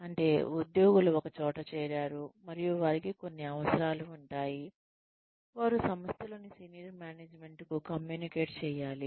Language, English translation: Telugu, Which means, the employees get together, and , they have certain needs, that they communicate to the organization, to the senior management, in the organization